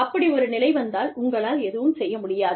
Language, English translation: Tamil, In that case, of course, you cannot do anything